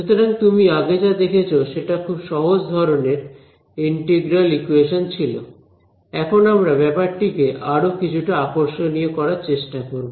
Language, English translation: Bengali, So, what you looked at was a very simple kind of integral equation, now we’ll try to make things little bit more interesting